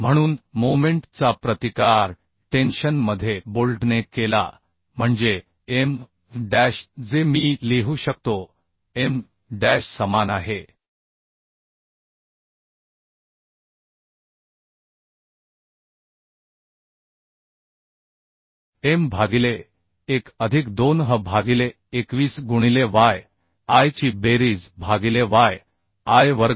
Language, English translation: Marathi, So maximum tension in the bolt I can find out from this formula and where M dash already we have found out M dash will be is equal to p into e by 1 plus 2h by 21 into summation yi by summation yi square